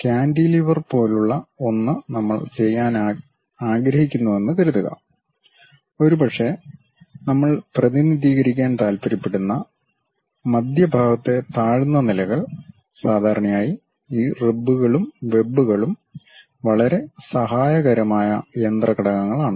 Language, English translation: Malayalam, Something like cantilever kind of suppose we would like to really do that; perhaps off center kind of lows we would like to represent, usually these ribs and webs are quite helpful kind of machine elements